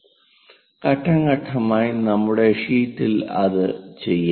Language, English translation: Malayalam, Let us do that on our sheet step by step